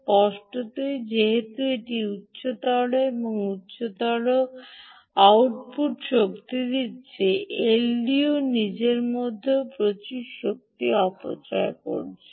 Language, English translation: Bengali, clearly, as it is giving higher and higher and higher output power, the ldo is also dissipating a lot of power across itself